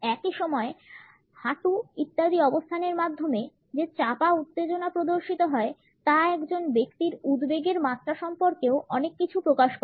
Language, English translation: Bengali, At the same time, the tension which is exhibited through the positioning of the knees etcetera also discloses a lot about the anxiety level a person might be feeling